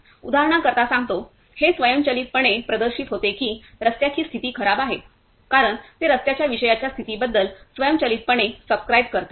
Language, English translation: Marathi, Say for examples, it is automatically displayed that is the road condition is bad, because it automatically subscribe about the topic road condition